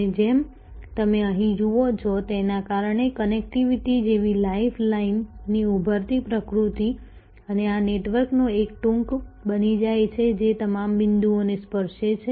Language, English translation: Gujarati, And as you see here, because of this the emerging nature of life line like connectivity and this becomes a trunk of the network touching all most all of point